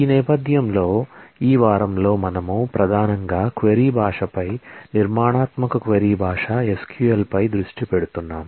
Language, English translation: Telugu, In this background, in this week we are primarily focusing on the query language the structured query language SQL